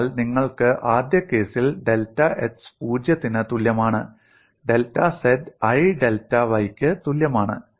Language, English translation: Malayalam, So you have in the first case, delta x equal to 0, delta z equal to i delta y, so it varies like this